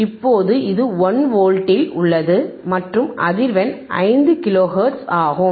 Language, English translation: Tamil, Now, this is at 1 volt, right we are apply 1 volt, and frequency is 5 kilo hertz, frequency is 5 kilo hertz